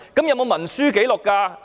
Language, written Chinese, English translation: Cantonese, 有文書紀錄嗎？, Are there any records?